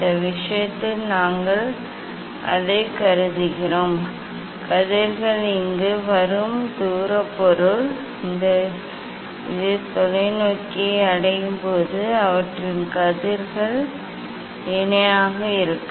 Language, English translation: Tamil, in this case, we assume that from the distance object the rays are coming here, when it is reaching to the telescope their rays are parallel